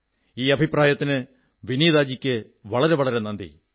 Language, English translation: Malayalam, Thank you very much for your suggestion Vineeta ji